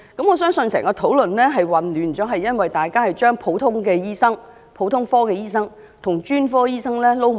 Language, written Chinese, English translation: Cantonese, 我相信引起討論混亂的原因是，是大家將普通科的醫生與專科醫生混淆。, I believe that the cause of the confusion is that we have mixed up general medical practitioners GPs with specialists